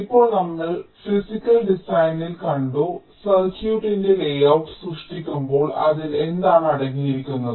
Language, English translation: Malayalam, now, we have seen in physical design, so when we create the layout of the circuit, what does it contain